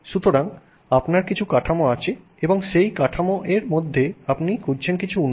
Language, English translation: Bengali, So, you have some framework and within that framework you are looking at some improvement